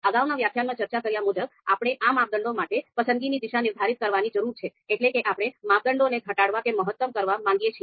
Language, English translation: Gujarati, Now as we talked about in the previous lecture that we need to set the preference direction for these criteria, whether we would like to minimize or maximize the criteria